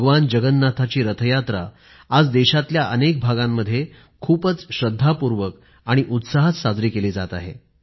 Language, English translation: Marathi, The Car festival of Lord Jagannath, the Rath Yatra, is being celebrated in several parts of the country with great piety and fervour